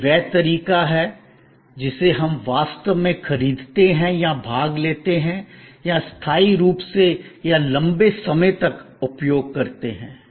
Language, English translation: Hindi, This is the way, we actually purchase or procure or participate or used temporarily or for a length of time